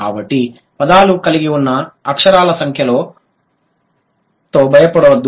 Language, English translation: Telugu, So, don't be scared with the number of letters that the words have